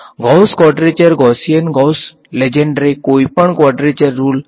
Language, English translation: Gujarati, Gauss quadrature Gaussian Gauss Legendre any quadrature rule